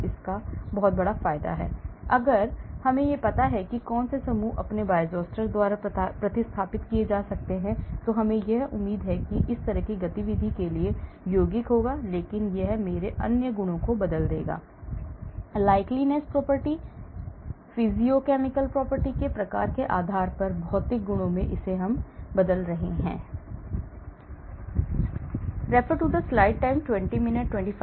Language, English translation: Hindi, so the great advantage of it is; if I know which groups could be replaced by its own Bioisosteres, I expect the compound to have this similar activity but it will alter my other properties; the drug likeness property, physicochemical properties based on the type of functional groups I am replacing it with